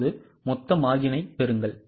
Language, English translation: Tamil, Now also get the total margin